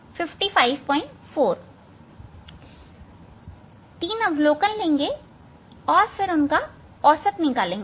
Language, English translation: Hindi, take three observation and then find out the average of that one